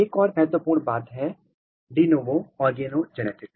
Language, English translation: Hindi, Another very important thing is de novo organogenesis